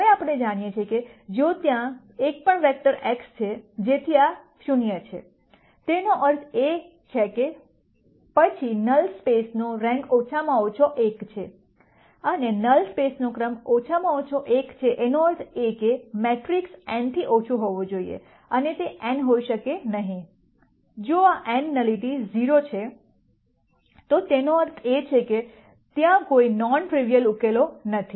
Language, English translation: Gujarati, Now we know that if there is even one vector x; such that this is 0; that means, then rank of the null space is at least 1, and since the rank of the null space is at least one nullity is at least 1; that means, the rank of the matrix has to be less than n right, it cannot be n, if this is n nullity is 0, that means, there are no non trivial solutions